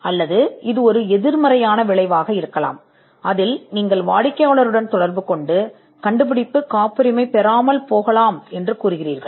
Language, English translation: Tamil, Or it could be a negative outcome, where you communicate to the client, that the invention may not be patentable